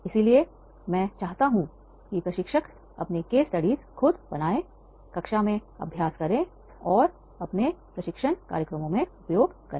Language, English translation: Hindi, So, I wish that is the trainers will make their own case studies, they will exercise in the classroom and use into their training programs